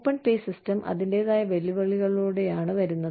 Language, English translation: Malayalam, Open pay system comes with its own challenges